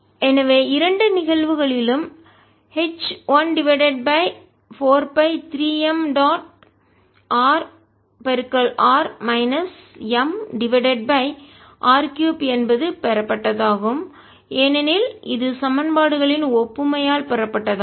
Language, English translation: Tamil, so h in both cases is one over four pi three m dot r r minus m over r cubed, as just derived because of the analogy of the equations